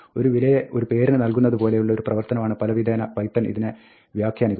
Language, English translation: Malayalam, In many ways, python interprets this like any other assignment of a value to a name